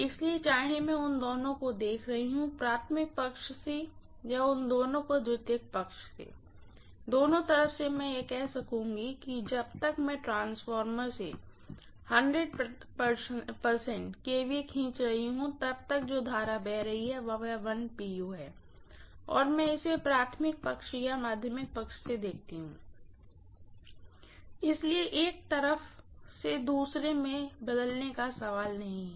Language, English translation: Hindi, So whether I am looking at both of them, from the primary side or both of them, from the secondary side, from either side I would be able to say as long as I am drawing 100 percent kVA from the transformer, the current that is flowing is 1 per unit, either I watch it from the primary side or the secondary side, so there is no question of transforming from one side to another, I don’t have to do that at all